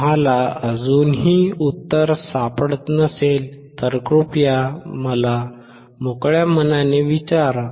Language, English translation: Marathi, If you still cannot find the answer please feel free to ask me